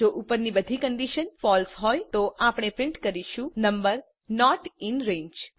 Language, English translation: Gujarati, If all of the above conditions are false We print number not in range